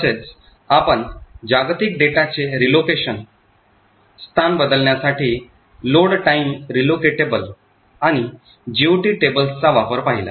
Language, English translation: Marathi, So, we looked at load time relocatable and the use of GOT tables to achieve Load time relocation of global data